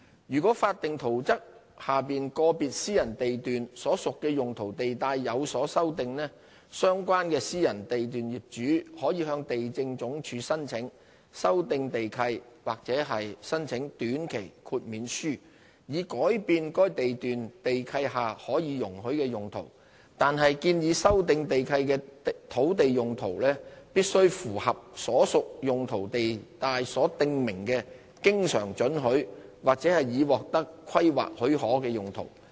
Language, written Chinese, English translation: Cantonese, 如果法定圖則下個別私人地段所屬的用途地帶有所修訂，相關私人地段業主可以向地政總署申請修訂地契或申請短期豁免書，以改變該地段地契下可以容許的用途，但建議修訂地契的土地用途必須符合所屬用途地帶所訂明的經常准許或已獲得規劃許可的用途。, Should there be any amendments to the land use zoning of a private lot under the statutory plan the owner of the private lot may apply to LandsD for lease modifications or a temporary waiver so as to change the permitted uses of the lease governing the lot . However the land uses of the lease proposed to be changed must comply with the always permitted uses specified in the respective land use zones or uses for which planning permission has been obtained